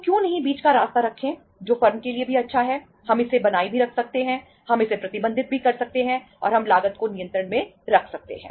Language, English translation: Hindi, So why not to have the path in between, that which is good for the firm also, we can maintain it also, we can manage it also and we can keep the cost under control